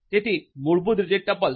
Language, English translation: Gujarati, So, tuples basically